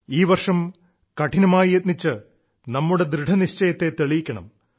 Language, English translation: Malayalam, This year too, we have to work hard to attain our resolves